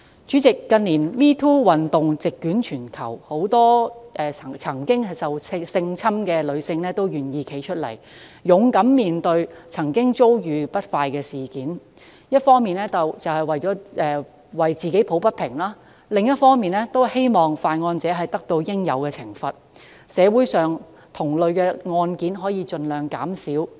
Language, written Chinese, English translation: Cantonese, 主席，近年 "#MeToo" 運動席捲全球，很多曾遭受性侵的女士均願意挺身而出，勇敢面對過去遭遇的不愉快經歷，一方面為自己抱不平，另一方面則希望犯案者得到應有懲罰，社會上同類案件可以盡量減少。, President with the MeToo Campaign sweeping through the entire world in recent years many women who have previously been sexually abused are now willing to come forward and face their unpleasant experiences in the past bravely . By doing so they wish to do justice to themselves on the one hand and let offenders receive the penalty they deserve on the other to avoid the recurrence of similar cases as far as possible